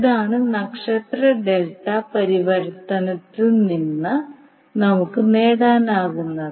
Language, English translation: Malayalam, So this is what we can get from the star delta transformation